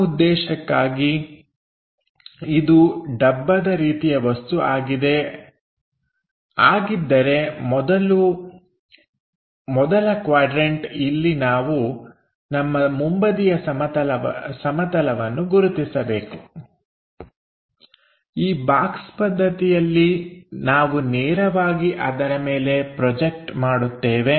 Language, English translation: Kannada, For that purpose if it is box kind of thing first quadrant we have to identify is my front plane here, here in box method we will straight away project it on to that